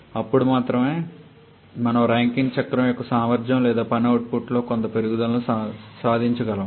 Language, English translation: Telugu, Then only we can achieve some increase in the efficiency or work output of the Rankine cycle